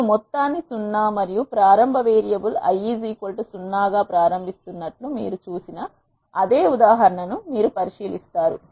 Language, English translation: Telugu, You will consider the same example as we have seen I am initializing the sum as 0 and the initial variable i is equal to 0